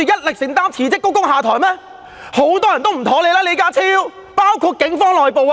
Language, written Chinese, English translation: Cantonese, 李家超，很多人都對你不滿，包括警方內部。, John LEE many people resent you including some from within the Police Force